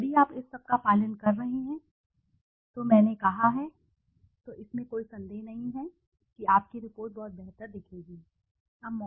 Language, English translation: Hindi, If you are following this all this which I have said then there is no doubt that your report will look much, much better and clean, okay